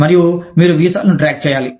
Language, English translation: Telugu, And, you need to keep track of visas